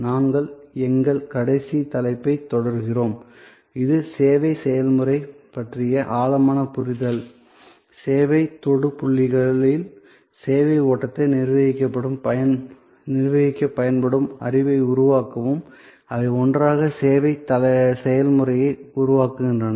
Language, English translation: Tamil, We are continuing our last topic, which is deeper understanding of the service process; create knowledge that can be used to manage the service flow in the service touch points, together they constitute the service process